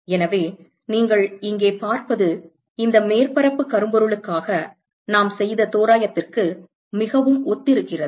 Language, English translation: Tamil, So, what you see here, this surface is very similar to the approximation that we made for a blackbody